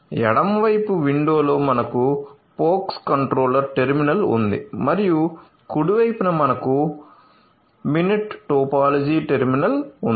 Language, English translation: Telugu, So, in this so, in left side window we have the pox controller terminal and in the right side we have the Mininet topology terminal